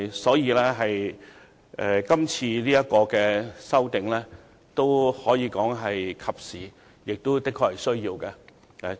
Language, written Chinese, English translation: Cantonese, 所以，今次的法例修訂工作可以說是及時和有需要的。, Therefore it can be said that the current legislative amendment is timely and necessary